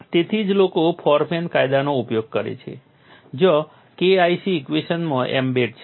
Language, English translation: Gujarati, So, that is why people use Forman law where K 1c is embedded in the equation